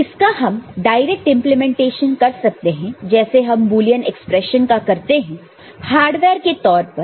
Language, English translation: Hindi, So, we can go for direct implementation of this, the way we have just seen that how a Boolean expression can be realized in the form of hardware